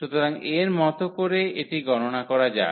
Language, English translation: Bengali, So, like let us compute this